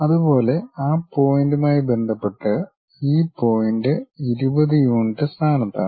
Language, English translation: Malayalam, Similarly, with respect to that point this point is at 20 units location